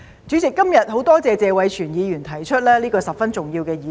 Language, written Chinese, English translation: Cantonese, 主席，今天很多謝謝偉銓議員提出這個十分重要的議題。, President I am grateful to Mr Tony TSE for raising this very important issue today